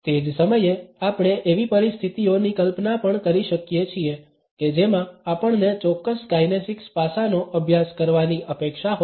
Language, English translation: Gujarati, At the same time we can also imagine situations in which we may be expected to practice a particular kinesics aspect